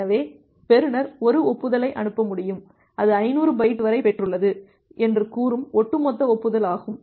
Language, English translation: Tamil, So, the receiver can send an acknowledgement, and that is the cumulative acknowledgement saying that it has received up to byte 500